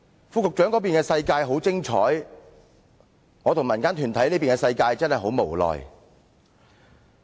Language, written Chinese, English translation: Cantonese, 副局長那邊的世界很精彩，而我與民間團體這邊的世界卻真的很無奈。, While the world inhabited by the Under Secretary is very exciting the world inhabited by the community organizations and me is quite pathetic